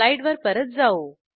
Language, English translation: Marathi, Let us switch back to our slides